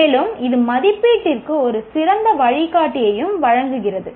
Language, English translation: Tamil, And it also provides an excellent guide to the assessment itself